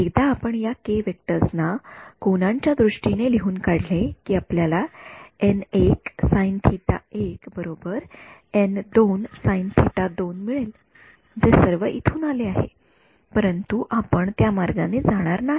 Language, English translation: Marathi, Once you write your these k vectors in terms of angles you will get your n 1 sin theta equal to n 2 sin theta all of that comes from here, but we are not going that route